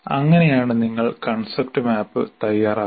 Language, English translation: Malayalam, That's how you prepare the concept map